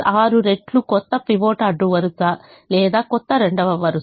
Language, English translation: Telugu, the new pivot row are the new second row